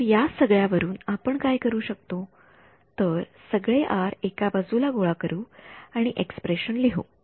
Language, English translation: Marathi, So, from this all what we can do is gather all the R's on one side and write the expression